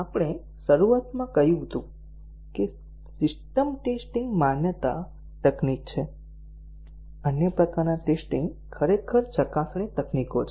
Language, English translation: Gujarati, We had at the beginning said that system testing is a validation technique; the other types of testing are actually verification techniques